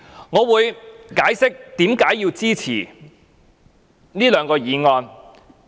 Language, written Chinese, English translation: Cantonese, 我會解釋為何支持這兩項議案。, I will explain why I support these two motions